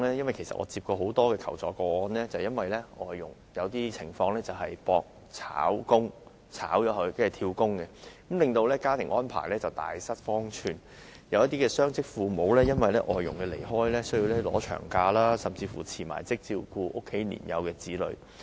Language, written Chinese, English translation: Cantonese, 我曾接獲很多求助個案，是有關外傭出現俗稱"搏炒"的情況，她們希望被解僱後轉工，令僱主家庭大失方寸，有些雙職父母因外傭離開而要放取長假，甚至要辭職以照顧家中年幼子女。, I have received many requests for assistance concerning foreign domestic helpers who behaved in such a way as to get sacked so to speak . They wished to switch jobs after dismissal causing great chaos to the families of their employers . Some dual - income parents had to take a long vacation for the departure of their foreign domestic helpers